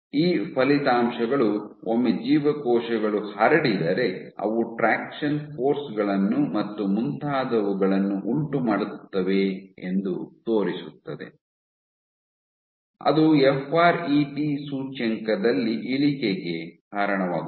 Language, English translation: Kannada, So, you know that once the cells spread out, they will exert traction forces and so on and so forth, that should lead to a decrease in the fret index